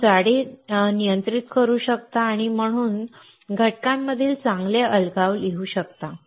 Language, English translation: Marathi, You can control the thickness and hence write better isolation between components